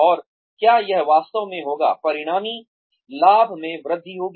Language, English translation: Hindi, And, will it really, result in enhanced profits